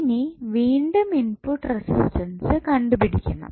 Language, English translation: Malayalam, Now, again, we have to find the input resistance